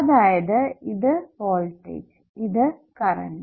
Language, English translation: Malayalam, so this is the voltage source